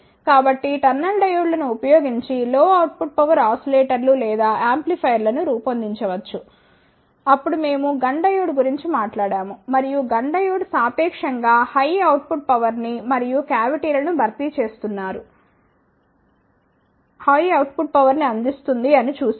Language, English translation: Telugu, So, using the tunnel diodes low output ah power ah oscillators or the amplifiers can be designed, then we talked about the GUNN diode and then we saw that the GUNN diode provides relatively high output power